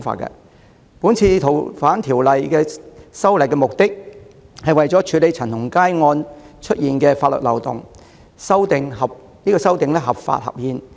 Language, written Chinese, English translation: Cantonese, 這次修訂《逃犯條例》旨在處理陳同佳案暴露的法律漏洞，相關修訂建議合法合憲。, The proposed amendments to FOO seek to plug the loopholes in law exposed by the CHAN Tong - kai case . The relevant proposed legislative amendments are both legal and constitutional